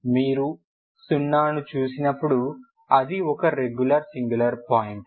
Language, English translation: Telugu, When you have when you look at 0 is singular point regular singular point